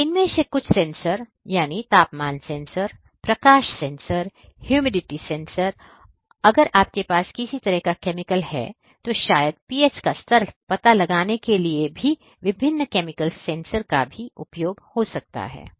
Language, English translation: Hindi, So, the names of some of these sensors, temperature sensor, light sensors, then you have pressure sensors, maybe humidity sensor and if you have some kind of chemical reactions these different chemicals chemical sensors for detecting maybe the pH level right